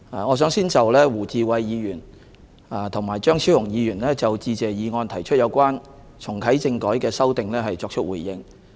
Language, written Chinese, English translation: Cantonese, 我想先就胡志偉議員和張超雄議員就致謝議案提出有關重啟政改的修訂作出回應。, I want to first respond to the amendments proposed by Mr WU Chi - wai and Dr Fernando CHEUNG to the Motion of Thanks about reactivating constitutional reform